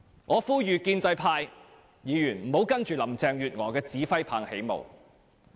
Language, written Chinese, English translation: Cantonese, 我呼籲建制派議員不要隨着林鄭月娥的指揮棒起舞。, I urge pro - establishment Members not to dance to the tune of Carrie LAM